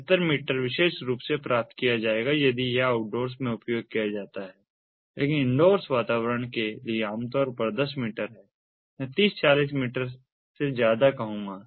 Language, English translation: Hindi, seventy five meters will particularly be obtained if it is used outdoors, but for indoor environments typically like ten meters to, i would say, above thirty, forty meters and so on